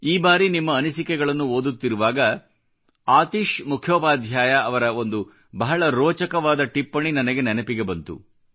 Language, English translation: Kannada, Once while I was going through your comments, I came across an interesting point by AtishMukhopadhyayji